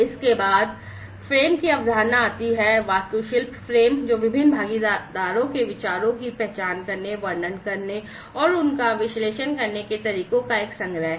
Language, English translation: Hindi, Next comes the concept of the frame, the architectural frame, which is a collection of ways which identify, describe, and analyze the ideas of the different stakeholders